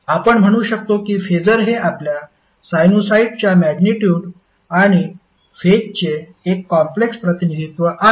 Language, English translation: Marathi, So, what you can say, phaser is a complex representation of your magnitude and phase of a sinusoid